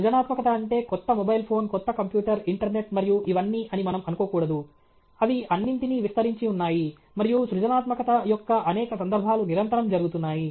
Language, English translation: Telugu, We should not think that creativity means new mobile phone, new computer okay, internet and all these, they are all pervading and many instances of creativity which are constantly going on okay